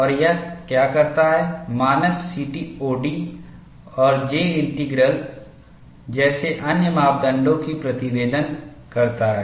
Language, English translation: Hindi, And what it does is, the standard provides reporting other parameters such as CTOD and J integral